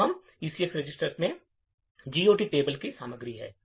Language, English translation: Hindi, So, now the ECX register has the contents of the GOT table